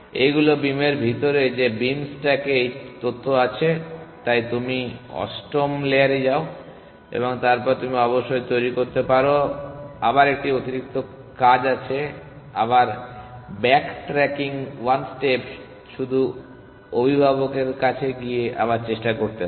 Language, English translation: Bengali, These are inside this beam that beam stack has this information, so you go to the eight layer and then you can generate of course there is a extra work again back tracking 1 step would have been just going to the parent and then retry